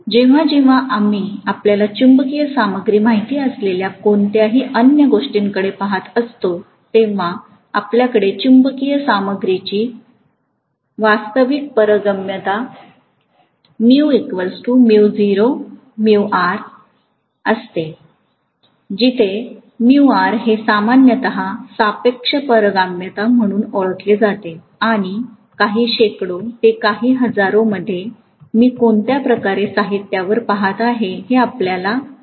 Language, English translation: Marathi, Whenever we are looking at any other you know magnetic material, we are going to have the actual permeability of a magnetic material to be mu naught into mu R, where mu R is known as the relative permeability and the relative permeability is going to be generally, you know, a few hundreds to few thousands depending upon what kind of material I am looking at